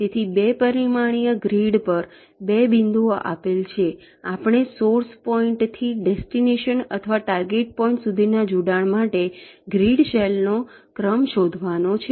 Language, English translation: Gujarati, so, given two points on the two dimensional grid, we have to find out the sequence of grid cells for connecting from the source point to the destination or or the target point